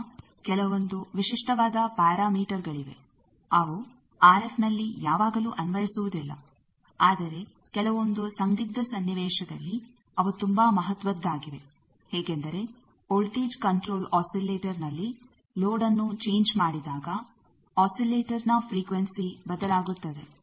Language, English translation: Kannada, Then there are some special parameters which are not always applicable in RF, but in some critical blocks they are very important like if you have a voltage control oscillator there due to the change of load the frequency of the oscillator changes